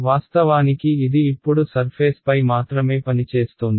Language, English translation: Telugu, This is actually now operating only on the surface